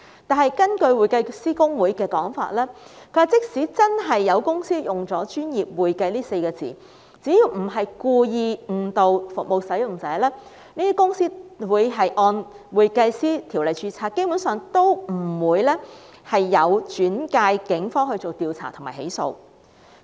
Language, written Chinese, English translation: Cantonese, 然而，根據香港會計師公會的說法，即使真的有公司使用"專業會計"這稱謂，只要不是故意誤導服務使用者，他們會按《專業會計師條例》註冊，基本上也不會轉介警方調查及起訴。, According to HKICPA even if some companies really use the description professional accounting the cases will basically not be referred to the Police for investigation and prosecution if the companies do not intend to mislead service users and arrangements may be made to register the companies under the Professional Accountants Ordinance